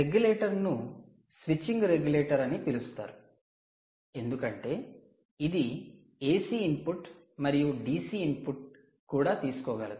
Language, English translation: Telugu, its a switching regulator because, if it is switching, it can take ac input, it can also take dc input